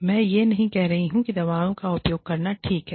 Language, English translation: Hindi, I am not saying, it is okay, to use drugs